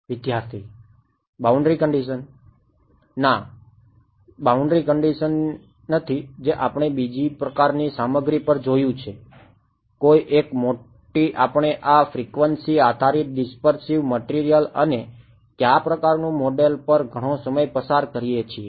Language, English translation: Gujarati, No, not boundary conditions what we looked at another kind of material, no one big we spend a lot of time on this frequency dependent dispersive materials and which kind of model